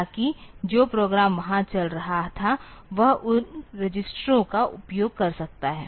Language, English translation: Hindi, So, that main; the program that was executing there might be using those registers